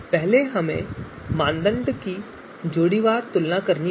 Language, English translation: Hindi, So first we have pairwise comparisons of criteria